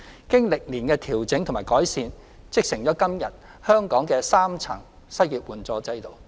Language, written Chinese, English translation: Cantonese, 經過歷年的調整及改善，織成今天香港的3層失業援助制度。, These coupled with adjustments and improvements over the years have constituted the prevailing three - tier unemployment assistance system in Hong Kong today